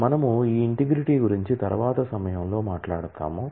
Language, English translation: Telugu, We will talk about this integrity at a later point of time